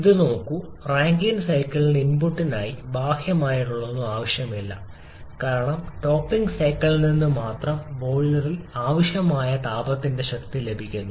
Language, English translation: Malayalam, Look at this is Rankine cycle does not need any external for input because it is getting the power of heat required in the boiler from the topping cycle